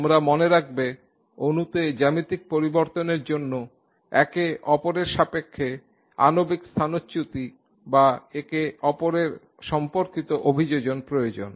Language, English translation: Bengali, You recall that geometry changes in the molecule require molecular displacements relative to each other or orientations relative to each other